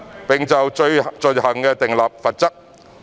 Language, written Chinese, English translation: Cantonese, 並就罪行訂立罰則。, It also provides for the penalties for such behaviours